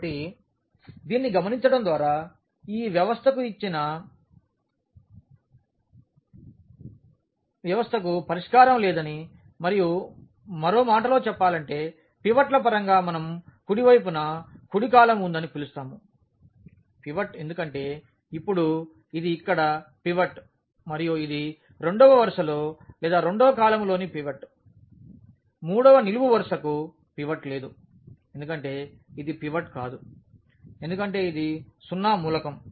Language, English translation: Telugu, So, by observing this we conclude that this system the given system has no solution and in other words in terms of the pivots we call that the right the rightmost column has a pivot because now this is the pivot here and this is the pivot in the second row or in the second column; the third column has no pivot because this cannot be pivot because this is a 0 element